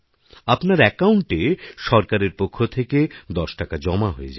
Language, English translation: Bengali, Ten rupees will be credited to your account from the government